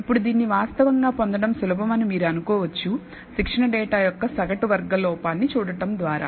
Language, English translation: Telugu, Now, you might think that it is easy to actually obtain this by looking at the mean squared error of the training data